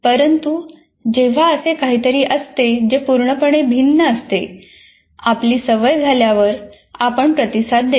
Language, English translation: Marathi, But whenever there is something that is completely different after we get habituated, it comes, we respond